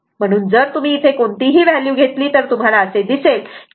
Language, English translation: Marathi, So, if you take any value from here, you will find X L greater than X C